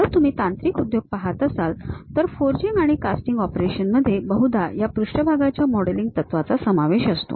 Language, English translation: Marathi, If you are looking at mechanical industries, the forging and casting operations usually involves this surface modelling principles